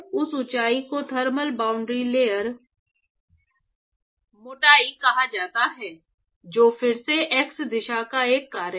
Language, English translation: Hindi, So, this height is called thermal boundary layer thickness, which is again a function of the x direction